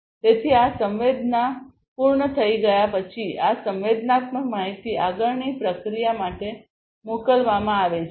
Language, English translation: Gujarati, So, this sensing once it is done, this sensed data is sent for further processing